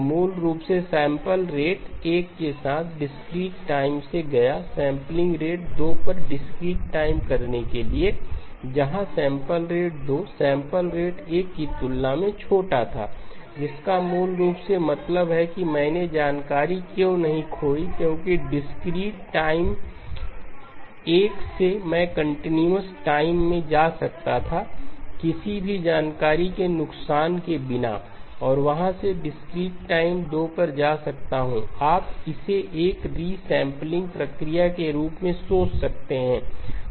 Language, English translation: Hindi, So basically I went from discrete time with sampling rate 1 to discrete time at sampling rate 2 where the sampling rate 2 was smaller than sampling rate 1 which basically means that why did I not lose information because from discrete time 1 I could have gone to the continuous time without loss of any information and from there I would go to discrete time 2, you can think of it as a resampling process